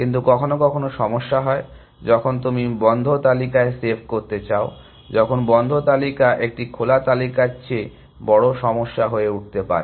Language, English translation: Bengali, But, there are problem sometimes, when you want to save on the close list, when the close list can become a greater problem than an open list